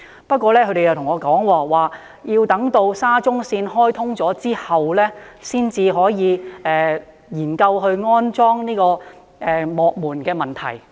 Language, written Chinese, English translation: Cantonese, 不過，他們告訴我，要待沙中線開通後，才能夠研究安裝幕門的問題。, But they told me that MTRCL could only look into the installation after the commissioning of SCL